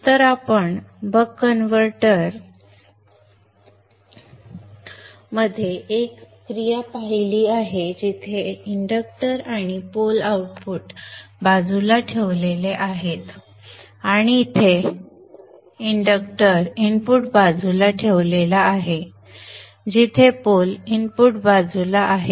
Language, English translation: Marathi, So we have seen one action in the buck converter where the inductor and the pole are placed towards the output side and here the inductor is placed towards the input side where the pole is on the input side